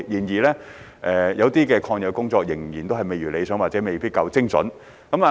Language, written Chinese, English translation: Cantonese, 然而，有些抗疫工作仍然未如理想或未夠精準。, However some of the anti - epidemic work is less than satisfactory or lack precision